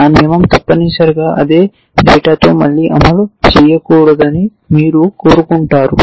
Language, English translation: Telugu, You do not want that rule to fire again essentially with the same piece of data